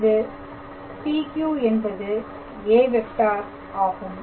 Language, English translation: Tamil, So, what is the vector